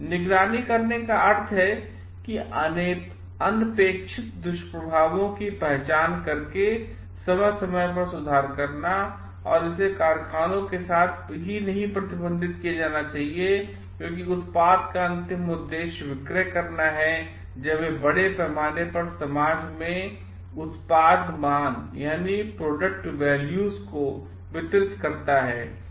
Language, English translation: Hindi, To monitor is to is about making periodic improvements to identify the unintended side effects and it should not be restricted with the factories as ultimate purpose of the product is to solve when it delivers values to the society at large